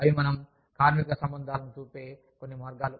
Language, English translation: Telugu, We, then, some ways of looking at labor relations